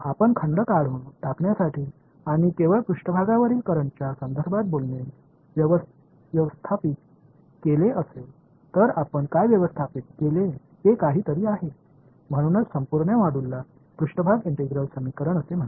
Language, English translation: Marathi, So, somehow what we have manage to do if you have manage to remove the volumes and talk only in terms of currents on the surface; that is why these what that is why the whole module is called surface integral equations